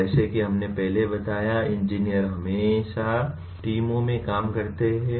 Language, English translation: Hindi, As we mentioned earlier, engineers always work in teams